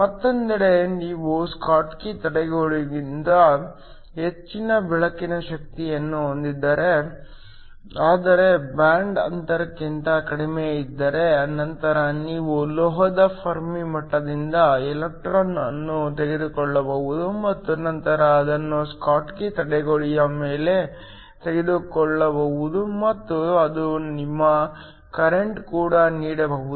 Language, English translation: Kannada, The other hand if you have light energy greater than the schottky barrier, but less than the band gap, then you can take an electron from the Fermi level of the metal and then take it above the schottky barrier and that can also give you current